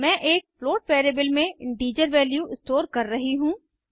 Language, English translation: Hindi, Im storing the integer value in a float variable